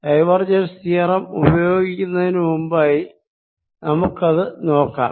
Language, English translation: Malayalam, let us give that before using divergence theorem